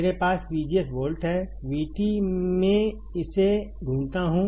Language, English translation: Hindi, I have V G S 4 volts, V T I do find it out